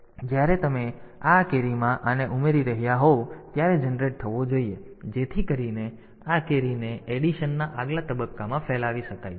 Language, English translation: Gujarati, So, when you are adding these to this carry should be generated so, that this carry can be propagated to the next stage of addition